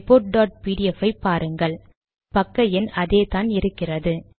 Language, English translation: Tamil, And you can see in the report dot pdf, you can see that the page number is still the same